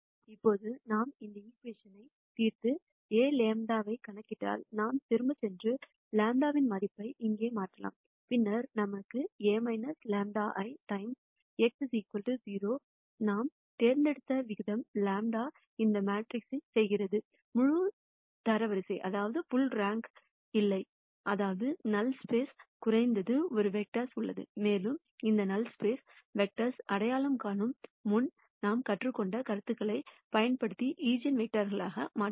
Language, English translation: Tamil, Now once we solve for this equation and compute A lambda, then we can go back and then substitute the value of lambda here and then we have A minus lambda I times x equal to 0, the way we have chosen lambda is such that this matrix does not have full rank; that means, there is at least one vector in the null space, and using concepts that we have learned before we can identify this null space vector which would become the eigenvector